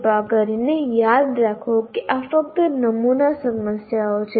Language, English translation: Gujarati, Once again, please remember these are only sample set of problems